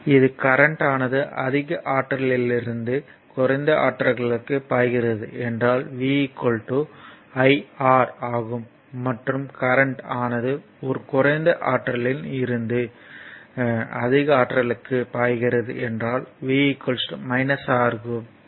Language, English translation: Tamil, So, in therefore, your this if current flows from a higher potential to lower potential, right v is equal to iR it is true and if current flows from a lower potential to higher potential, then v is equal to minus R